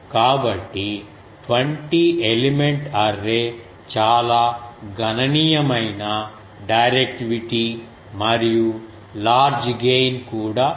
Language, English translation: Telugu, So, a 20 element away has a very substantial directivity and also large gain